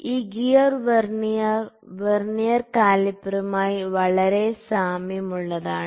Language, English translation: Malayalam, This gear Vernier is very similar to the Vernier calliper